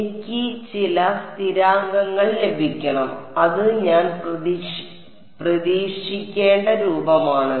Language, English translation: Malayalam, I should get some constants and H that is the form I should expect